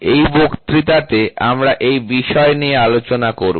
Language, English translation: Bengali, This is what will be the discussion in this lecture